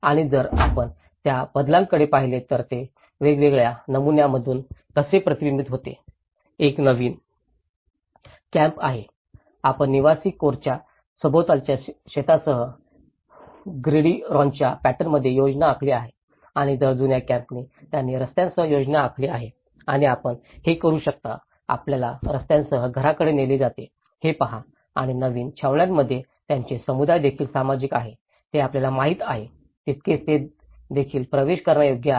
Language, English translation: Marathi, And if you look at the transformation and how it is reflected in different patterns, one is the new camps, you have planned in a gridiron pattern with farmlands around the residential core and whereas, an old camp they planned along with the streets and you can see that the houses are led along the streets and also the community spaces in the new camps they are equally shared you know, they are equally accessible